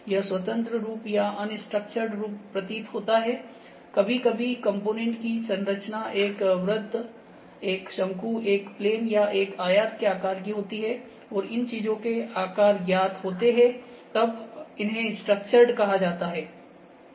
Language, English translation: Hindi, Now, this is seems to free form or unstructured form sometimes the structure components are like we have a circle, a cone, a plane, a rectangle or when these things are known the known shapes are there, those are known as structured forms